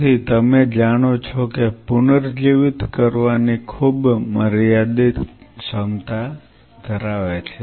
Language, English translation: Gujarati, So, if you know it has a very limited ability to regenerate limited ability to regenerate